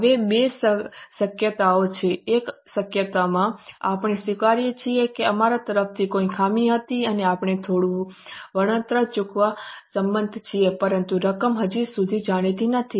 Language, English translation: Gujarati, In possibility one, we accept that there was a fault on our par and we agree to pay some compensation but amount is not yet known